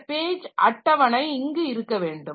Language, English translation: Tamil, This page table should be there